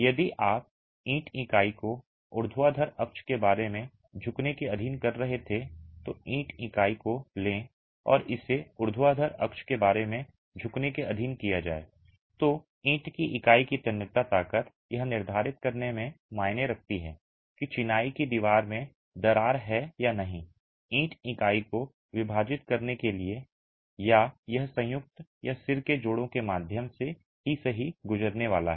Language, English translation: Hindi, If you were subjecting the brick unit to bending about a vertical axis, take the brick unit and it is subjected to bending about a vertical axis, then the tensile strength of the brick unit is what matters in determining whether the crack in the masonry wall is going to split the brick unit or is it going to pass through the joint or the head joints itself